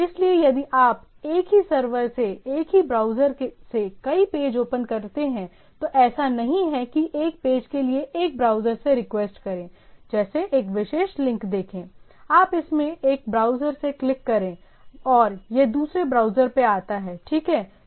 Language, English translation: Hindi, That’s why, even if you open up number of pages by the same browser, from the same server, it is it is not the it never happens that one page, you request a page for one, like see one particular link, you click in one browser and the it comes up in the other browser, right